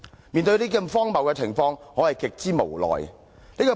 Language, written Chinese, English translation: Cantonese, 面對這種荒謬的情況，我是極之無奈的。, In the face of such a ridiculous state of affairs I feel extremely helpless